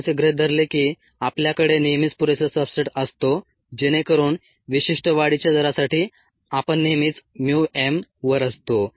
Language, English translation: Marathi, we kind of assumed that we are always had enough substrate so that, ah, we were always at mu m for the specific growth rate